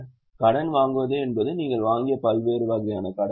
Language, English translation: Tamil, Borrowings are various types of loans taken by you